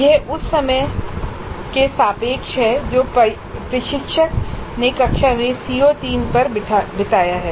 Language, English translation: Hindi, This is relative to the amount of time the instructor has spent on CO3 in the classroom